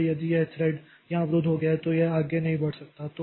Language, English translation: Hindi, So, if this thread got blocked here, okay, it cannot proceed